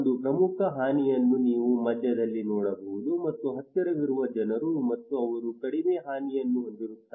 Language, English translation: Kannada, A major damage you can see also in the middle and people who are close to and they have less damage